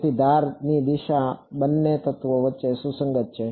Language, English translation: Gujarati, So, the edge direction is consistent between both the elements